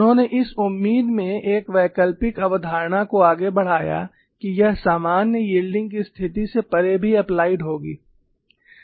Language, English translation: Hindi, They advanced an alternative concept in the hope that, it would apply even beyond general yielding conditions